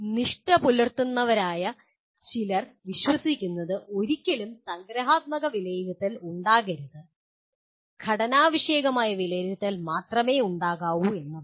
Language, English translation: Malayalam, Some purists believe there should never be summative assessment, there should only be formative assessment